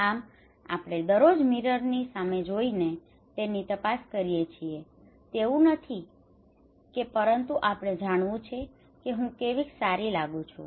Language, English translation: Gujarati, So we look into the mirror every time every day it is not that we want to know that how I am looking good